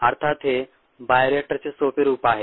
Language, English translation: Marathi, of course it's a simpler form of a bioreactor